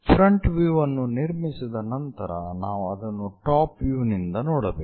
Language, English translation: Kannada, After constructing front view, we have to see it from top view